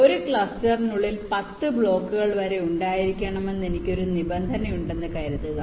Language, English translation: Malayalam, lets say, suppose i have a requirement that inside a cluster i can have upto ten blocks, and suppose i have a set of blocks to place